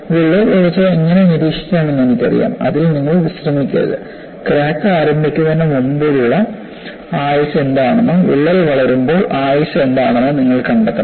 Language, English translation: Malayalam, So, I know how to monitor the crack growth’; you should not be relaxed on that; you should find out, during the service life, what is the component of life before crack initiation and what is the component of life when the crack grows